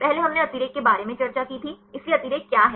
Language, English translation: Hindi, First we discussed about the redundancy, so what is redundancy